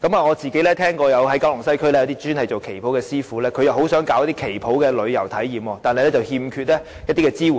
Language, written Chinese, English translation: Cantonese, 我曾聽聞九龍西一些專門製作旗袍的師父很想舉辦旗袍旅遊體驗，但欠缺支援。, I have heard that some master dressmakers of Qipao in Kowloon West are thinking about organizing Qipao experiential tours yet they lack support